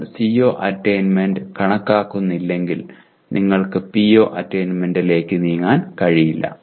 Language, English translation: Malayalam, Unless you do the, compute the CO attainment we cannot move to PO attainment